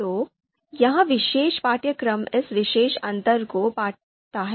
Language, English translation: Hindi, So this particular course also bridges this gap